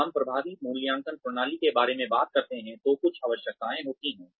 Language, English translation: Hindi, When we talk about, effective appraisal systems, there are some requirements